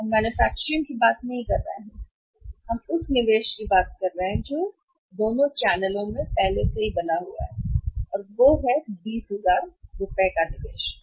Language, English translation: Hindi, We are not talking the manufacturing investment that is already made that is common in both the channels 20000 rupees we are not talking about